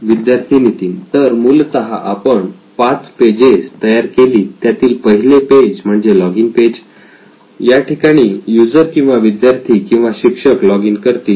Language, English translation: Marathi, So we essentially designed five pages, the first page would be a login page where the user, student or teachers logs in